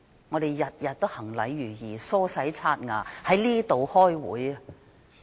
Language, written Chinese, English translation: Cantonese, 我們每天都行禮如儀，梳洗刷牙，在這裏開會。, We all follow certain ritual every day such as combing bathing tooth brushing and attending meetings here